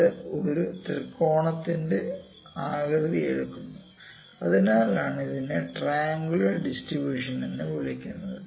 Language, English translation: Malayalam, It takes it shape of a triangle that is why it is known as triangular distribution, ok